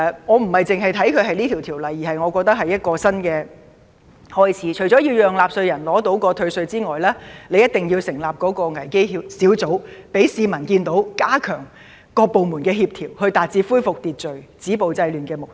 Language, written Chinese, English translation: Cantonese, 我並非純粹視其為一項法案，而是我覺得它是一個新開始，除了要讓納稅人獲得退稅外，當局亦一定要成立危機小組，讓市民看到當局加強各部門的協調，以達致恢復秩序、止暴制亂的目的。, I do not see it as simply a bill; but as a new beginning . Apart from providing taxpayers with tax concessions the authorities must form a crisis intervention team to step up the coordination of various departments to achieve the goal of restoring law and order stopping violence and curbing disorder